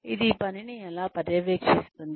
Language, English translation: Telugu, How it will supervise the work